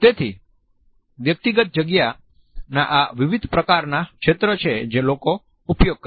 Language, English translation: Gujarati, So, these are different sort of zones of personal space that people use